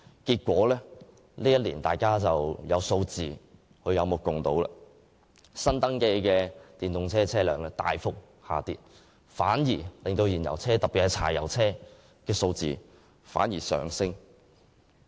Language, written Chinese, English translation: Cantonese, 結果，本年的數字大家有目共睹，新登記的電動車輛數目大幅下跌，而燃油車——特別是柴油車——的數目則上升。, The resulting figures are evident to all The number of newly registered EVs has declined drastically and the number of fuel - engined vehicles especially diesel vehicles has risen